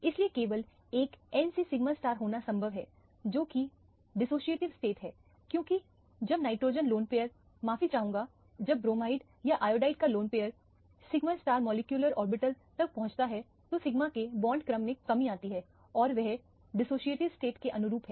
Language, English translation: Hindi, So, it is possible to have only a n to sigma star which are dissociative state because when the nitrogen lone pair sorry when the lone pair from the bromide or the iodide reaches the sigma star molecular orbital, the bond order of the sigma 1 decreases and their corresponds to a dissociative state